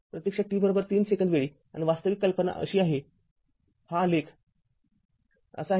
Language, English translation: Marathi, Actually at time t is equal to 3 second and actually idea is like this, this graph is like this